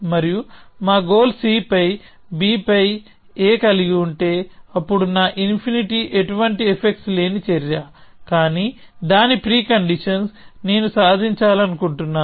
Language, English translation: Telugu, And if our goal is to have A on B on C, then my a infinity is an action which has no effects but whose preconditions are what I want to achieve